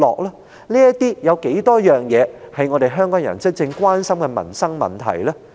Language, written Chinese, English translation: Cantonese, 他又處理過多少是香港人真正關心的民生問題呢？, How many livelihood issues that really concern the people of Hong Kong has he dealt with?